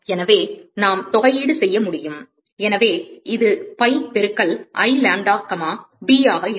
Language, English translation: Tamil, So, we can integrate; so, this will be pi into I lambda comma b